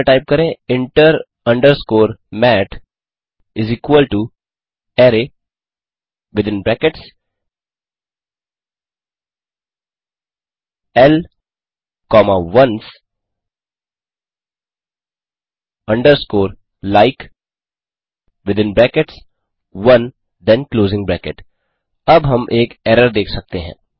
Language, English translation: Hindi, Type in the terminal inter underscore mat = array within brackets l comma ones underscore like within brackets one then closing bracket Now we can see an error